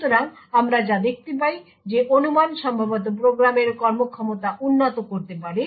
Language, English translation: Bengali, So, what we see is that the speculation could possibly improve the performance of the program